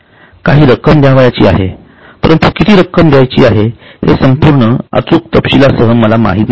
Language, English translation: Marathi, See, this is the amount which is payable, but how much is payable is not known to me to the full accuracy with the exact details